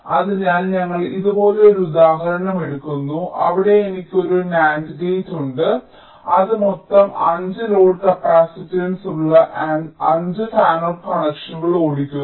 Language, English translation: Malayalam, so we take an example like this, where i have a nand gate which is driving five fanout connections with a total load capacitance of five